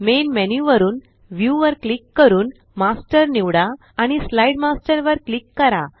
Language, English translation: Marathi, From the Main menu, click View, select Master and click on Slide Master